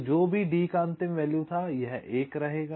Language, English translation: Hindi, so whatever was the last of d, this one, this one will remain